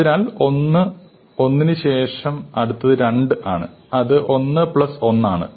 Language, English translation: Malayalam, So, after 1 and 1, the next one is 2 which is 1 plus 1